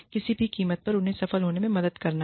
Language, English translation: Hindi, It is to help them, succeed, at whatever cost